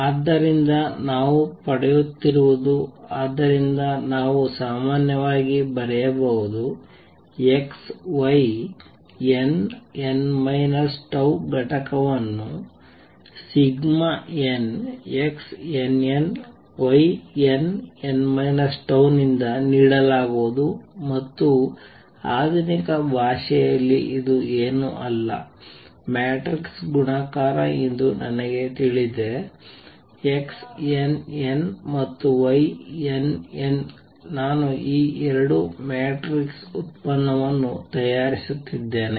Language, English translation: Kannada, So, what we are getting is therefore, I can write in general is x y some n, n minus tau component is going to be given by summation X n n prime, Y n prime n minus tau sum over n prime and in modern language I know this is nothing but matrix multiplication multiplication of matrices X n, n prime and Y n, n prime the two matrices I am making their product